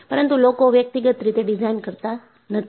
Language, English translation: Gujarati, People do not do design individually